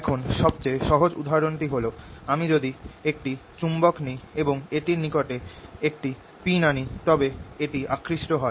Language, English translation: Bengali, now the simplest example is if i take a magnet and bring a pin close to it, it gets attracted